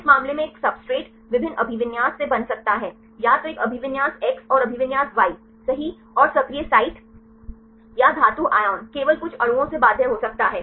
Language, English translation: Hindi, In this case a substrate can bind a different orientations either a orientation X and orientation Y right and the active site or the metal ion may be bound only few of the molecules